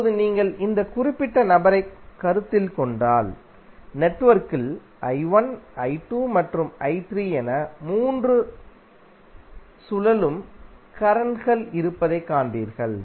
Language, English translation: Tamil, Now if you consider this particular figure, there you will see that network has 3 circulating currents that is I1, I2, and I3